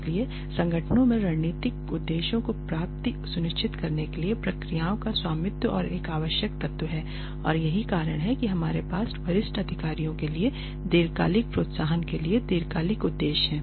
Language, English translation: Hindi, So, ownership of processes is an essential element in ensuring the achievement of strategic objectives of the organization and that is why we have long term objectives for senior long sorry long term incentives for senior executives